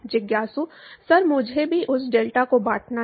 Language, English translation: Hindi, Sir I also have to divide that delta